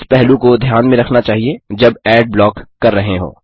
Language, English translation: Hindi, * This factor has to be considered carefully when blocking ads